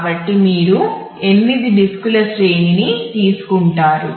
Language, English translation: Telugu, So, you take an array of 8 disks